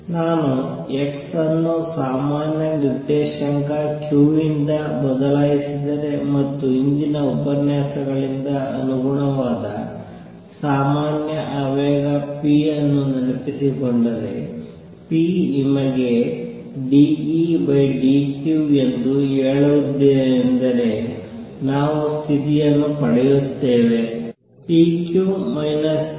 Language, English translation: Kannada, Generalizing this if I replace x by general coordinate q and corresponding general momentum p recall from previous lectures, I have told you that p is d E d q we get the condition to be p q minus q p n, n equals i h cross